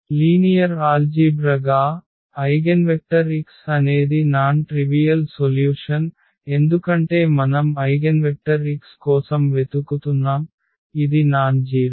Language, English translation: Telugu, Algebraically, an eigenvector x is a non trivial solution because we are looking for the eigenvector x which is nonzero